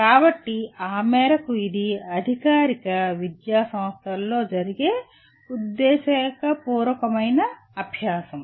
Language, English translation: Telugu, So to that extent it is intentional learning that happens in formal educational institutions